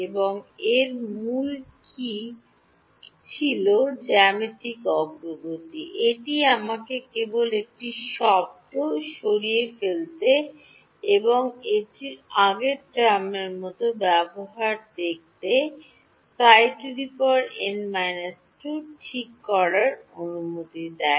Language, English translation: Bengali, And what was key to this was the geometric progression, it allowed me to just remove one term and make it look like the previous term psi n minus 2 ok